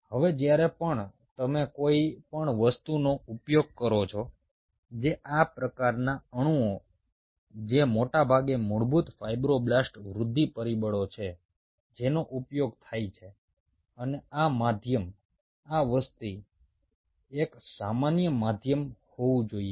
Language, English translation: Gujarati, now, whenever you are using anything which these kind of molecules, which are mostly basic fibroblast growth factors, which are used, and, and and this media, this whole thing has to be, ah, a common medium